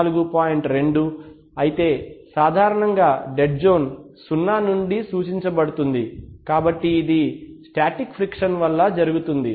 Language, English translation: Telugu, 2 while generally dead zone is refer to from zero, so it occurs due to factors such a static friction